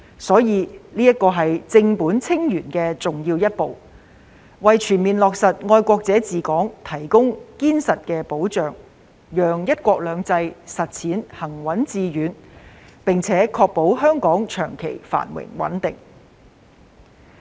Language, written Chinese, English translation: Cantonese, 所以，這是正本清源的重要一步，為全面落實"愛國者治港"提供堅實的保障，讓"一國兩制"的實踐行穩致遠，並確保香港長期繁榮穩定。, This is thus an important step to address the problems at root laying a solid foundation for full implementation of the principle of patriots administering Hong Kong thereby ensuring the smooth and continuous implementation of one country two systems and the long - term prosperity and stability of Hong Kong